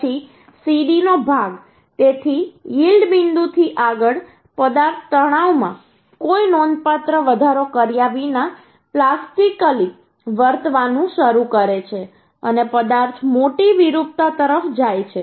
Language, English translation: Gujarati, so beyond yield point the material start flowing plastically without any significant increase in the stress and material goes large deformation